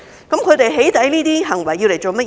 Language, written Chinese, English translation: Cantonese, 他們"起底"的行為是為了甚麼？, What is the purpose of their doxxing behaviour?